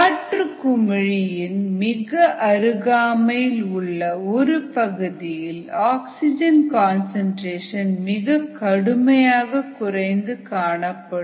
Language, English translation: Tamil, then there is a region very close to the air bubble where the concentration of oxygen decreases quite drastically